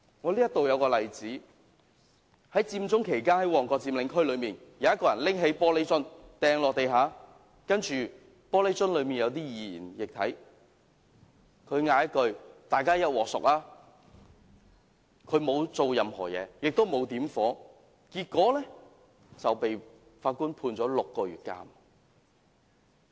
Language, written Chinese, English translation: Cantonese, 我舉一個例子，在佔中期間，旺角佔領區內有人拿起玻璃瓶擲在地上，玻璃瓶內有些易燃液體，他喊了一句"大家一鑊熟"，但沒有做任何事情，也沒有點火，結果被法官判處6個月監禁。, Let me cite an example to illustrate my point . During the Occupy Central a person threw a glass bottle with some flammable liquid inside to the ground in the occupied area in Mong Kok and then shouted Let us die together . He had done nothing after that and had not ignited any fire yet he was sentenced to six months of imprisonment